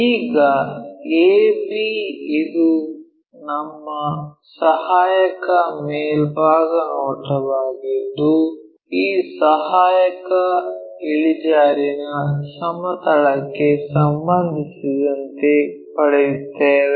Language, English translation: Kannada, Now, a b this is our auxiliary top view which with respect to this auxiliary inclined plane we are getting